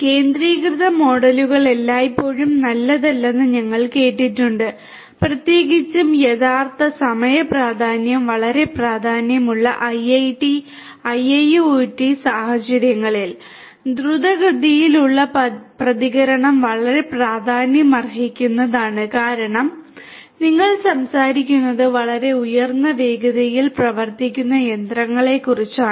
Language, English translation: Malayalam, We have also seen that centralized models are not always good particularly in IIoT scenarios where real timeness is very important where quicker response is very important, because you are talking about machinery operating at very high speed where safety of the humans operating these machines is very crucial